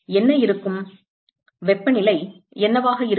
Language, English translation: Tamil, What will be, the what will be the temperature